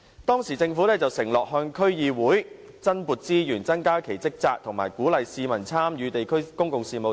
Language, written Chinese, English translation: Cantonese, 當時政府承諾向區議會增撥資源、增加其職責，以鼓勵市民參與地區公共事務。, He undertook to allocate additional resources to the DCs and strengthen their role and functions as to encourage public participation in district public affairs